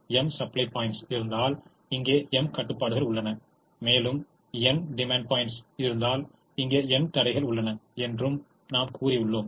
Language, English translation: Tamil, we also said that if there are m supply points, there are m constraints here, and if there are n demand points, there are n constraints here